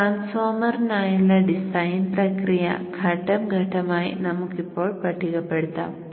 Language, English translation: Malayalam, So let us now list on step by step the design process for the transformer